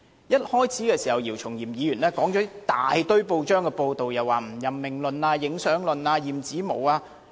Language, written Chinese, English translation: Cantonese, 一開始時，姚松炎議員引述大量報章報道，涉及不任命論、影相論、驗指紋。, As the beginning of the debate Dr YIU Chung - yim cited a large number of media reports concerning non - appointment photo - taking of ballot papers and examination of fingerprints